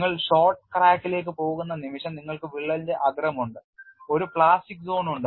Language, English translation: Malayalam, The moment you go to short crack you have at the tip of the crack there is a plastic zone